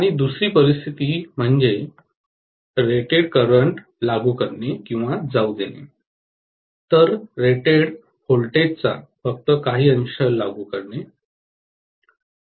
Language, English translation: Marathi, And second situation applying or passing rated current, whereas applying only a fraction of the rated voltage